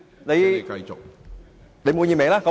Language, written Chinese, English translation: Cantonese, 你滿意嗎？, Are you satisfied?